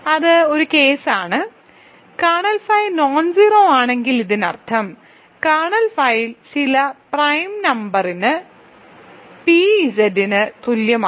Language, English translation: Malayalam, So, that is one case; if kernel phi is nonzero this means kernel phi is equal to p Z for some prime number